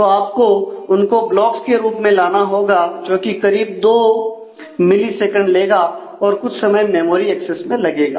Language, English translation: Hindi, So, you will have to bring them in blocks and that will require couple of millisecond versus the amount of time that you need in the memory access